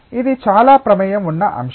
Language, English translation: Telugu, It is a very involved topic